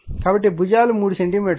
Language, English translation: Telugu, So, your right sides are 3 centimeter each